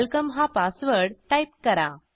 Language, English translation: Marathi, Type the password as welcome